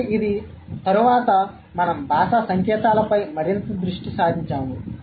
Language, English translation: Telugu, So, it's much later we kind of, we became more focused about linguistic signs